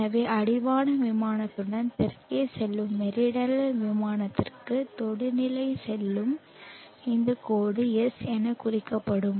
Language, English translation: Tamil, So this line which goes tangential to the meridional plane going down south along the horizon plane will be denoted as S